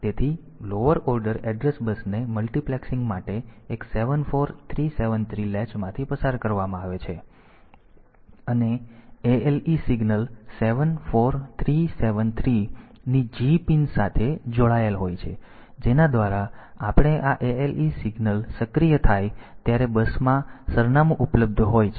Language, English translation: Gujarati, So, this is passed through one 7 4 3 7 3 latch for multiplexing for de multiplexing the lower order address bus and the ALE signal is connected to g pin of 7 4 3 7 3 by which we can when this ale signal is activated address is available in the bus and that gets latched here